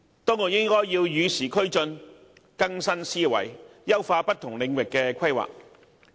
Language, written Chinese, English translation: Cantonese, 當局應與時俱進，更新思維，優化不同領域的規劃。, The authorities should keep abreast of the times and update its thinking in order to enhance the planning in different areas